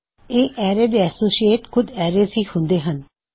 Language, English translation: Punjabi, However, the associates for this array are arrays themselves